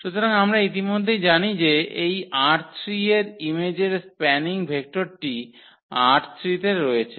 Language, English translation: Bengali, So, we know already the spanning vector of this image R 3 which is in R 3